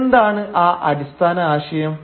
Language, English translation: Malayalam, And what was that fundamental idea